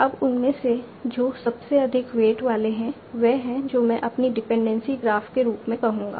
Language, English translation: Hindi, Now among those which is having the highest weight and that is the one that I will say as my dependency graph